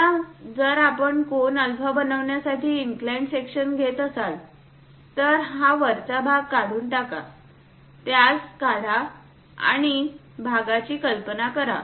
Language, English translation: Marathi, Now if we are taking an inclined section making an angle alpha, remove this top portion, remove it and visualize this part